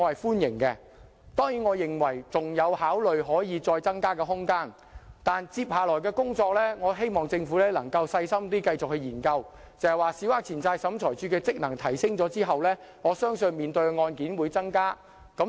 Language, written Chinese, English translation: Cantonese, 當然，我認為上限仍有增加的空間，但接下來，我希望政府能繼續細心研究，小額錢債審裁處的職能提升後，我相信審理的案件會增加。, Certainly I think there is still room for a further increase in the limit but as a next step I hope the Government can make a further effort to conduct a detailed study because following the enhancement of the functions of the Small Claims Tribunal I believe there will be an increase in the caseload